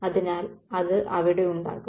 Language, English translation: Malayalam, So, it's going to be there